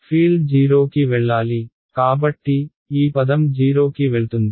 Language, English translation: Telugu, Field should go to 0 right, so, this term is going to go to 0 ok